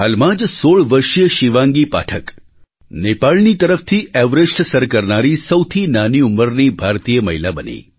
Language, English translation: Gujarati, Just a while ago, 16 year old Shivangi Pathak became the youngest Indian woman to scale Everest from the Nepal side